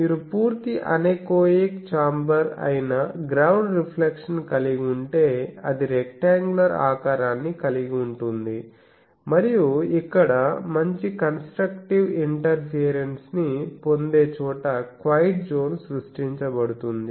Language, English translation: Telugu, But if you have ground reflection that is a full anechoic chamber, it can have a rectangular shape and there is always a quite zone created where you get good constructive interference here